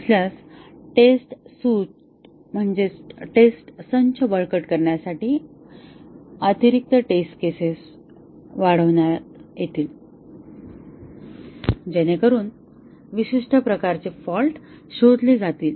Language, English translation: Marathi, If not, the test case will be augmented with additional test cases to strengthen the test suite, so that the specific type of fault will be detected